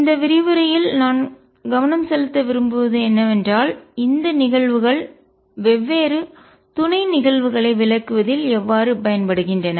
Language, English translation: Tamil, What I want to focus on in this lecture is how this phenomena is used in explaining different subatomic events